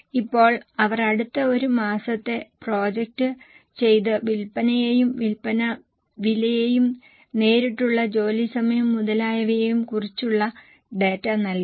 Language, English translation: Malayalam, Now they have given the data about the next one month projected sales as well as sale prices, direct labour hours and so on